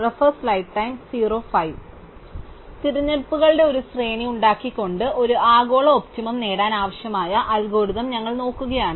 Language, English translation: Malayalam, So, we are looking at algorithms where we need to achieve a global optimum by making a sequence of choices